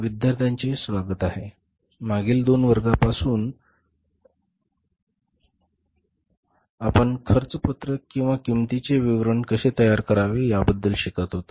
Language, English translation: Marathi, So, in the previous two classes classes we were learning about how to prepare the cost sheet or the statement of cost